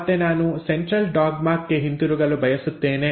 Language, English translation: Kannada, Now again I want to go back to Central dogma